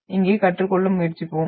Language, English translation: Tamil, So that we will try to learn here